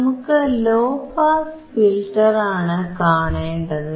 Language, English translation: Malayalam, Here we see the active low pass filter